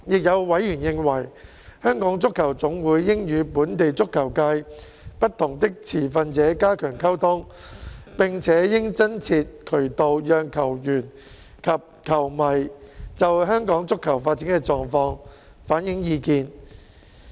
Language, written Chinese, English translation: Cantonese, 有委員認為，香港足球總會應與本地足球界不同的持份者加強溝通，並且應增設渠道讓球員及球迷，就香港足球發展的狀況反映意見。, There were views that the Hong Kong Football Association should enhance communication with various stakeholders from the local football sector and establish additional channels for football players and fans to reflect views on the state of football development in Hong Kong